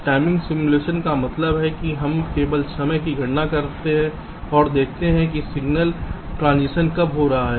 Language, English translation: Hindi, timing simulation means we simply calculate the times and see when signal transitions are talking place